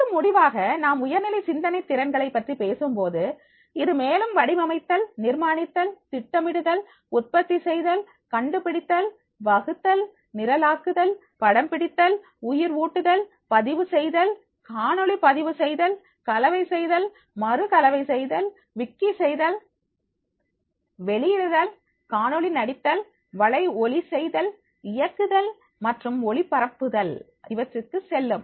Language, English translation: Tamil, And finally, when we talk about the higher order thinking’s skills, so this will go further designing, constructing, planning, producing, inventing, devising, and making programming, filming, animating, blogging, video blogging, mixing, remixing, wiki ing, publishing, video casting then the podcasting, directing and the broadcasting